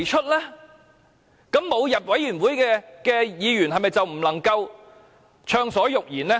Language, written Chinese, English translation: Cantonese, 這樣，沒有加入小組委員會的議員，是否就不能夠暢所欲言？, As such for Members not joining the subcommittee does it mean they cannot speak their mind freely?